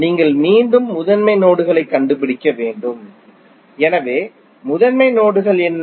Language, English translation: Tamil, You have to again find out the principal nodes, so what are the principal nodes